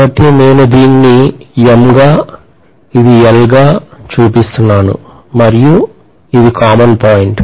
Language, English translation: Telugu, So I am showing this as M, this as L and this is a common point